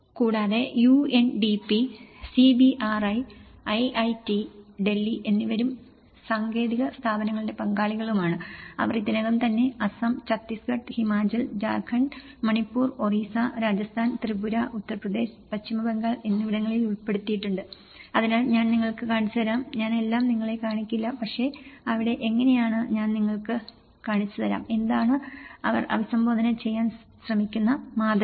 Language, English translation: Malayalam, And UNDP and CBRI and IIT Delhi and they have all been partners of technical institutions, they have already covered Assam, Chhattisgarh, Himachal, Jharkhand, Manipur Orissa, Rajasthan, Tripura, Uttar Pradesh, West Bengal so, I will just show you, I will not show you everything but I will show you one state how there; what is the pattern they have try to addressed